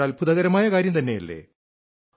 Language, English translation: Malayalam, Isnt' it amazing